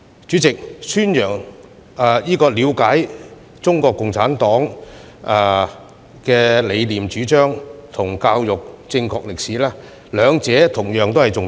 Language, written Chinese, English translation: Cantonese, 主席，了解中國共產黨的理念主張及教育正確的歷史，兩者同樣重要。, President understanding CPCs philosophy and teaching correct history are equally important